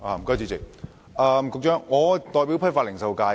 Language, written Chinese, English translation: Cantonese, 主席，局長，我是代表批發及零售界的議員。, President Secretary I am the legislator who represents the wholesale and retail sector